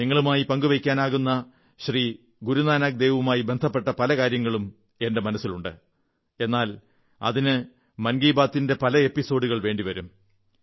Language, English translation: Malayalam, There is much about Guru Nanak Dev ji that I can share with you, but it will require many an episode of Mann ki Baat